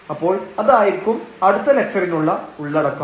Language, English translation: Malayalam, So, that will be the content of the next lecture